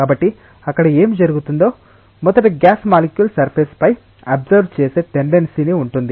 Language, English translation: Telugu, So, what will happen there will be first a tendency that the gas molecule is absorbed on the surface